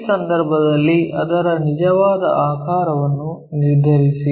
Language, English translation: Kannada, If that is the case, determine its true shape